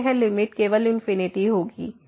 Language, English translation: Hindi, Then, this limit will be just infinity